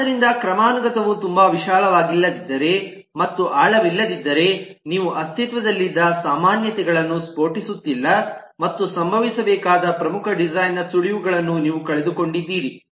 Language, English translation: Kannada, so if the hierarchy is very wide and shallow, then you are not exploding the commonality that exists and you are missing out on key design clue that may happen